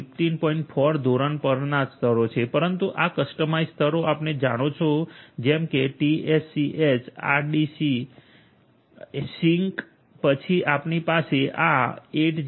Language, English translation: Gujarati, 4 standard that we have talked about earlier, but these you know customized ones like the TSCH RDC, SYNCH then you have this 802